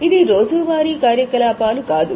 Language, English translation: Telugu, It is not a regular day to day activity